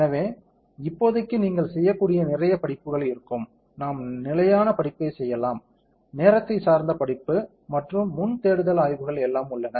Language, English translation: Tamil, So, for the time being there will lot of study that you can perform, we can perform stationary study, time dependent study and pre search studies are there all those things